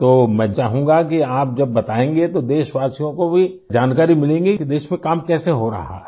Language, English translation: Hindi, So I would like that through your account the countrymen will also get information about how work is going on in the country